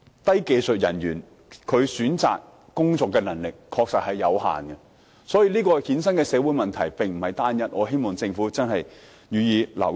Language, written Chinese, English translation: Cantonese, 低技術人員選擇工作的能力確實有限，所以，這個制度所衍生的社會問題並非單一，我希望政府留意。, The ability of low - skilled workers to pick jobs is indeed limited . Therefore I hope the Government can pay attention to the fact that this system has given rise to more than one single social problem